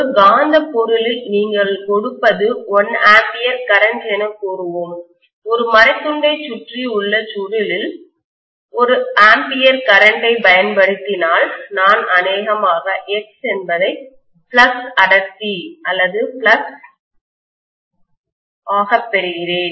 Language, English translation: Tamil, In a magnetic material, when you apply let us say 1 ampere of current, if I apply 1 ampere of current in a coil which is wound around a wooden piece, I will get probably X as the flux density or flux